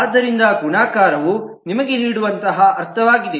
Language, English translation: Kannada, So that is the kind of meaning that the multiplicity can give you